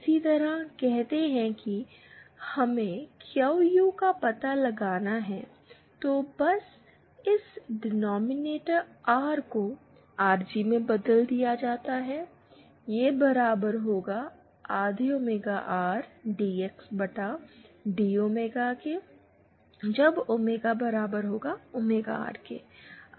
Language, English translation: Hindi, Similarly say is we to find out QU, then just this denominator R changes to RG, so this will be equal to half omega R upon 2 DX Upon D omega upon sorry RG omega equal to omega R and QL will be equal to half of omega R upon RT